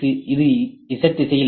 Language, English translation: Tamil, So, this can move in Z direction ok